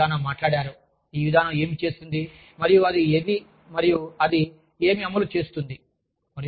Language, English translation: Telugu, And, Sardana has talked about, what the policy does, and what it enforces